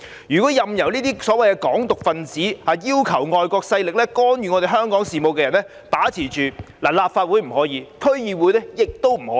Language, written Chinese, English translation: Cantonese, 議會不應任由這些"港獨"分子或要求外國勢力干預香港事務的人把持。立法會不可以，區議會亦不可以。, Neither the Legislative Council nor DCs should be dominated by people advocating Hong Kong independence or inviting foreign forces to interfere in Hong Kongs affairs